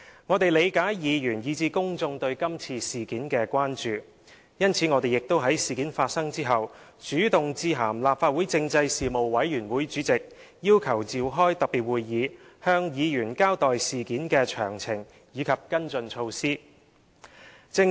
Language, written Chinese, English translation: Cantonese, 我們理解議員以至公眾對這次事件的關注，因此我們亦在事件發生後主動致函立法會政制事務委員會主席，要求召開特別會議，向議員交代事件的詳情及跟進措施。, We understand that Members and the public are concerned about this incident . Therefore we took the initiative to write to the Chairman of the Panel of Constitutional Affairs of the Legislative Council after the occurrence of incident occurred asking for the holding of a special meeting to inform Members of the details of the incident and the follow - up measures